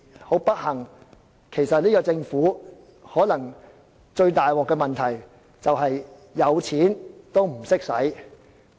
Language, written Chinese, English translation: Cantonese, 很不幸，這個政府最嚴重的問題其實可能是有錢也不懂花。, Unfortunately the greatest problem with the Government is that it does not know how to spend the money even though it has the money